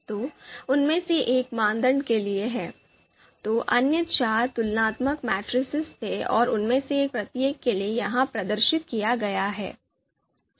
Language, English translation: Hindi, So you know one of them is for the criteria, then the others you know there are there were four comparison matrices and for each one of them this is this is displayed